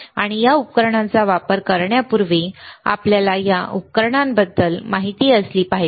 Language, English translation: Marathi, And before we use this equipment we should know about this equipment